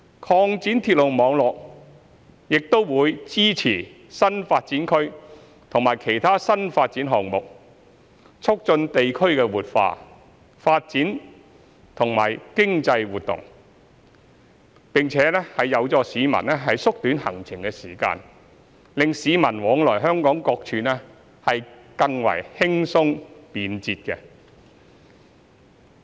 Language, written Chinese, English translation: Cantonese, 擴展鐵路網絡亦將會支持新發展區及其他新發展項目，促進地區的活化、發展和經濟活動，並且有助市民縮短行程時間，令市民往來香港各處更為輕鬆、便捷。, The expansion of the railway network will also support new development areas and other new development projects to facilitate revitalization development and economic activities in the districts and help shorten commuters journey time thus making travel easier and more efficient for members of the public across the territory